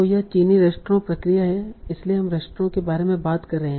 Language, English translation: Hindi, So this is a Chinese restaurant process